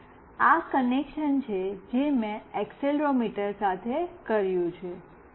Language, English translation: Gujarati, And this is the connection I have made with this accelerometer